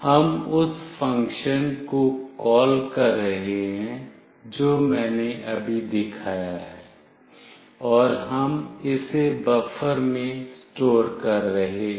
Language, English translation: Hindi, We are calling that function which I have shown just now, and we are storing it in buffer